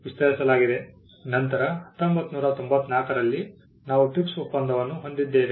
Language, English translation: Kannada, Then in 1994 we had the TRIPS agreement